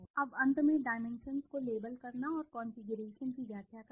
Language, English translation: Hindi, Now, finally, coming to the labelling the dimensions and interpreting the configuration